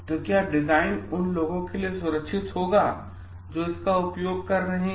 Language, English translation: Hindi, So, like will the design be safe for those who are using it